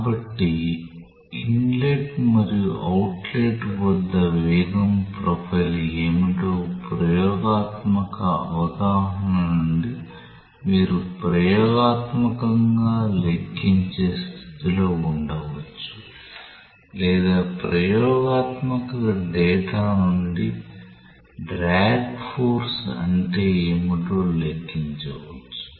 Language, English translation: Telugu, So, from the experimental understanding of what is the velocity profile at the inlet and the outlet you may be in a position to experimentally calculate or rather to calculate from the experimental data what is the drag force